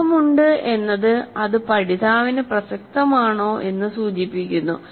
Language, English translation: Malayalam, So having meaning refers to whether the items are relevant to the learner